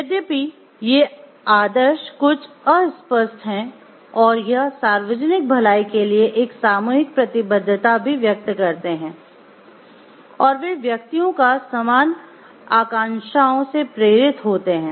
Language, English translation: Hindi, Although this paramount ideal is somewhat vague it expresses a collective commitment to the public good that inspires individuals to have similar aspirations